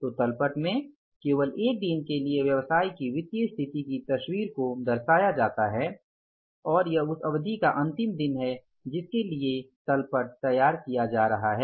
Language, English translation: Hindi, So, balance sheet depicts a picture of the financial position of the business for only one day and that is the last day of that period for which the balance sheet is being prepared